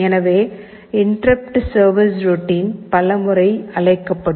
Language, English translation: Tamil, So, the interrupt service routine will be called so many times